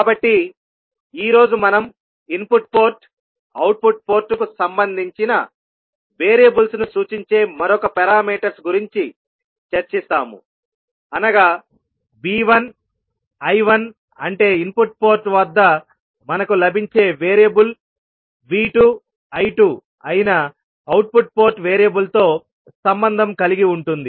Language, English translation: Telugu, So we discussed few of the parameters in our previous lectures, so today we will discuss about another set of parameters which relates variables at the input port to those at the output port that means the V 1 I 1 that is the variable we get at the input port will be related with the output port variable that is V 2 and I 2